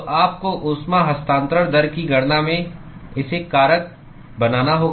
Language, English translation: Hindi, So, you have to factor that into the calculation of the heat transfer rate